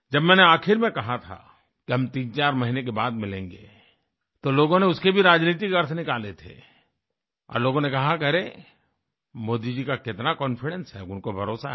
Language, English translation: Hindi, When it was about to end, I had stated that we would meet once again after 3 or 4 months, people assigned a political hue to it, saying 'Hey, Modi ji is so full of confidence, he is certain